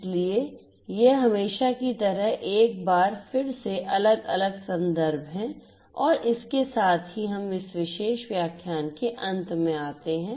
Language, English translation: Hindi, So, these are these different references once again as usual and with this we come to an end of this particular lecture as well